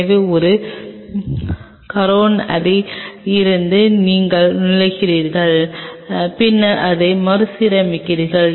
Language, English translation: Tamil, So, from one coronary you are entering and then you rearrange it